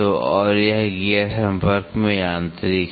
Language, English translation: Hindi, So, and this gears are mechanical in contact